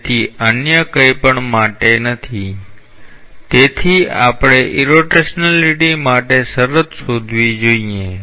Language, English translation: Gujarati, So, for nothing else, therefore, we must find out the condition for irrotationality